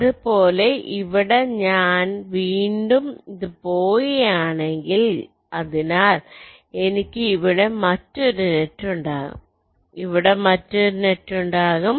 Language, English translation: Malayalam, similarly, if here i have this going here again, so i will be having another net out here, there will be another net here